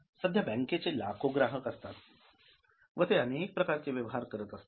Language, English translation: Marathi, Now, bank is having lacks of customers and they are having variety of transactions